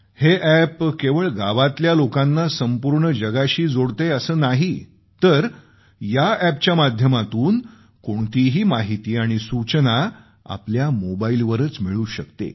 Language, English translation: Marathi, This App is not only connecting the villagers with the whole world but now they can obtain any information on their own mobile phones